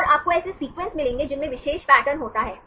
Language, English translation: Hindi, And you will get the sequences which contain the particular pattern